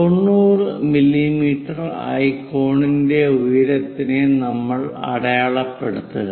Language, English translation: Malayalam, We have to locate 90 mm as height for the cone, 90 mm